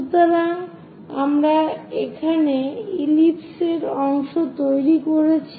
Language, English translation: Bengali, So, we have constructed part of the ellipse here